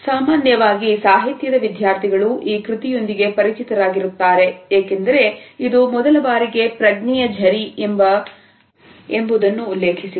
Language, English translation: Kannada, A students of literature in general are familiar with this work because it is this work which for the first time had also mentioned the phrase stream of consciousness